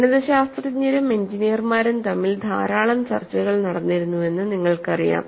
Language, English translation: Malayalam, You know, there was lot of debate between mathematicians and engineers